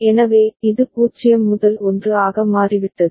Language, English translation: Tamil, So, it becomes 0 to 1